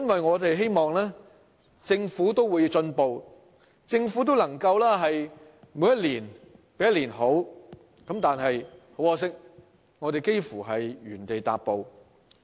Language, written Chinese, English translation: Cantonese, 我們希望政府會進步，一年比一年好，但很可惜，它幾乎是原地踏步。, This is very disappointing . We hoped that the Government would make progress and do better year by year but unfortunately it has hardly made any headway